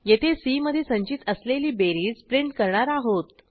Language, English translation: Marathi, Here we print the sum which is store in c